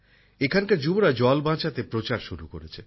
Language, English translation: Bengali, The youth here have started a campaign to save water